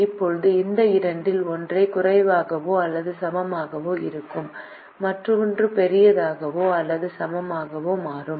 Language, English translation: Tamil, now, one of these two is less than or equal to, and the other will become greater than or equal to